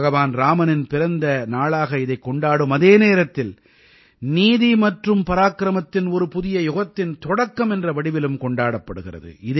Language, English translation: Tamil, It is also celebrated as the birth anniversary of Lord Rama and the beginning of a new era of justice and Parakram, valour